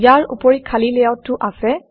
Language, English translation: Assamese, There are also blank layouts